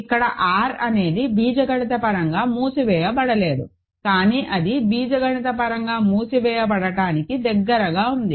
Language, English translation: Telugu, So, R is very close with the algebraic closure or being algebraically closed, but it is not quite true